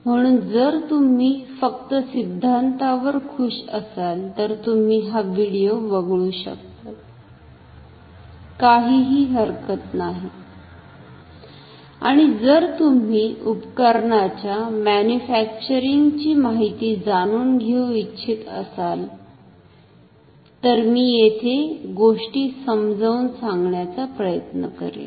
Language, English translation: Marathi, So, if you are happy with theories if you are; if you are a theoretician, no problem you can skip this video and if you want to learn about the manufacturing details of an instrument, I will try to explain things here